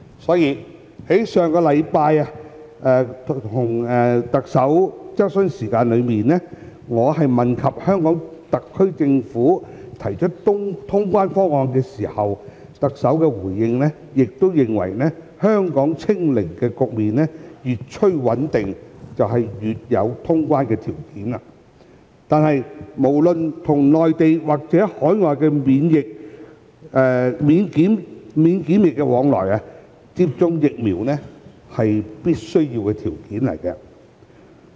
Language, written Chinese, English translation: Cantonese, 因此，在上星期的行政長官質詢時間，我問及香港特區政府提出通關方案時，特首的回應亦認為，香港"清零"局面越趨穩定便越有條件通關，但不論是與內地或與海外的免檢疫往來，接種疫苗是必要條件。, Therefore at the Chief Executives Question Time last week in reply to my question on the SAR Governments proposal of resuming traveller clearance the Chief Executive also considered that Hong Kong would be in a better position to resume traveller clearance when the zero infection situation in Hong Kong was getting more stable . However inoculation is a prerequisite for granting exemptions from compulsory quarantine when travelling to the Mainland or overseas